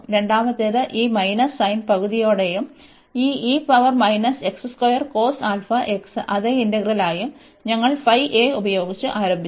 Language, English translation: Malayalam, And then the second one, we have this minus sin with half and this e power minus x square cos alpha x the same integral, which we have started with phi a